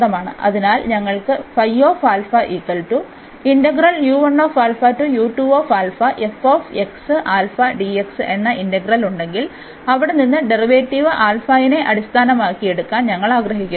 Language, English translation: Malayalam, So, if we have the integral, we want to take derivative with respect to alpha there